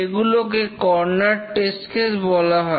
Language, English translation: Bengali, Those are called as the corner test cases